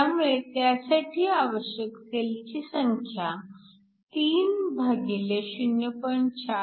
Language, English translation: Marathi, So, the number of cells is essentially 3 divided by 0